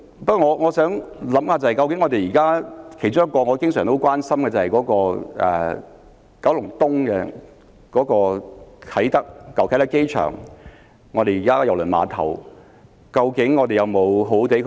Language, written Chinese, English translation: Cantonese, 不過，我想到一個我經常很關心的問題，就是究竟我們有否善用九龍東舊啟德機場的郵輪碼頭呢？, However I am thinking about an issue which I have always shown concern . Have we made the best use of the Cruise Terminal at the old Kai Tak Airport in Kowloon East?